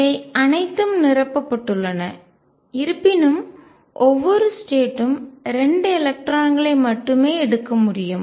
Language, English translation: Tamil, These are all filled; however, each state can take only 2 electrons